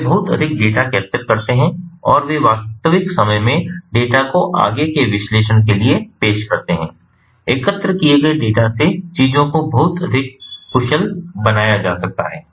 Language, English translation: Hindi, they capture lot of data and they offer the data in real time for further analysis, making, making things much more efficient from the data that is collected